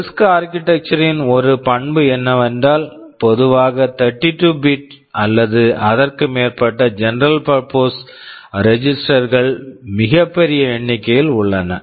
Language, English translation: Tamil, Registers oneOne characteristic of RISC architecture is that there is a very large number of general purpose registers, typically 32 or more